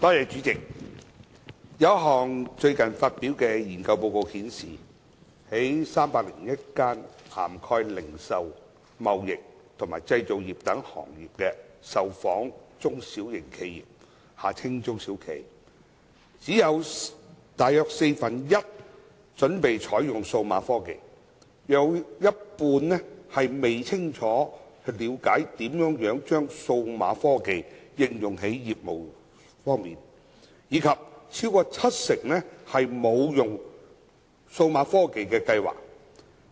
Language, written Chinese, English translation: Cantonese, 主席，有一項最近發表的研究報告顯示，在301間涵蓋零售、貿易及製造業等行業的受訪中小型企業中，只有約四分一準備採用數碼科技，約一半未清楚了解如何把數碼科技應用在業務上，以及超過七成沒有應用數碼科技的計劃。, President a study report published recently has revealed that among the 301 surveyed small and medium enterprises SMEs from various trades encompassing retailing trading manufacturing industry etc only about one - fourth are ready to adopt digital technology about half of them do not understand clearly how to apply digital technology to their business and over 70 % have no plans to apply digital technology